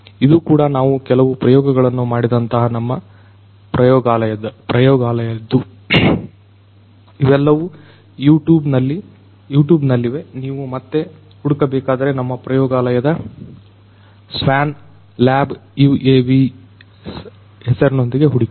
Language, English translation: Kannada, This is also from our lab you know some experiments that we have performed, these are all there in YouTube if you want to search further you know you can search with our lab name swan lab UAVs